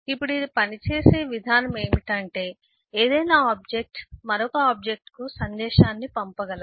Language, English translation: Telugu, now the way you it works is any object can send message to another object